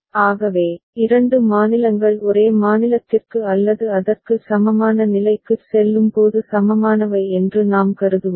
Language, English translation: Tamil, So, that is when we shall consider two states are equivalent ok, when they are moving to same state or equivalent state